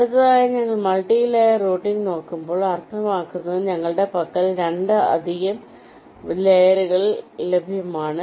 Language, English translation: Malayalam, and next, when we look at multilayer, routing means we have more than two layers available with us